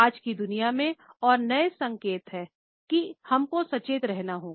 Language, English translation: Hindi, In today’s world and that there are new signals that, we have to be conscious of